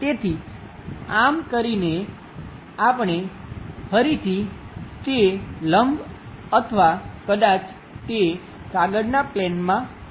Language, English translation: Gujarati, So, by doing that, we will again get that normal to or perhaps into the plane of that paper